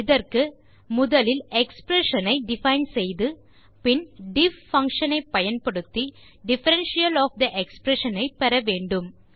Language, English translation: Tamil, For this, we shall first define the expression, and then use the diff function to obtain the differential of the expression